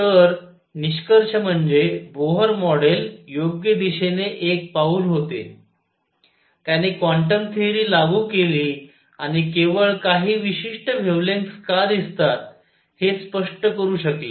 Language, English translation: Marathi, So, to conclude Bohr model was a step in the right direction, it applied quantum theory and it could explain why the only certain wavelengths are observed